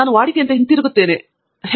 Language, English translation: Kannada, I keep coming back to routine; I do not know why